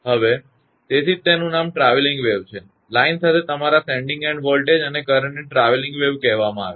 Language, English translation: Gujarati, So, that is why its name is travelling wave; your sending end voltage and current along your along the line is called the travelling waves